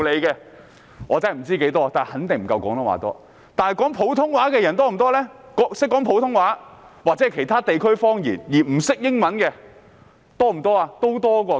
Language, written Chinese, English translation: Cantonese, 然而，懂得說普通話的人，又或是說其他地區方言而不懂英語的人又有多少呢？, However how many people who can speak Putonghua or other dialects but do not speak English?